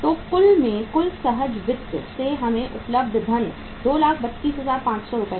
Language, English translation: Hindi, So in total the total funds available to us from the spontaneous finance was 2,32,500 Rs